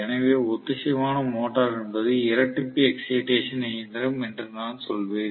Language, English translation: Tamil, So, I would say that synchronous motor is a doubly excited machine